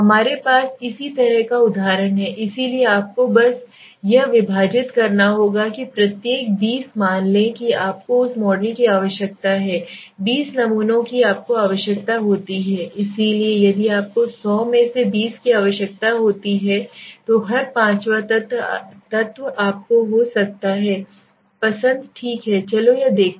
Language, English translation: Hindi, We have similar example so you just have to divide that every 20 suppose you need that model 20 samples you require is 20 so if you require 20 out of 100 so every fifth element becomes your choice right let s see this